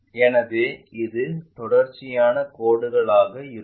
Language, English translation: Tamil, So, we will have continuous lines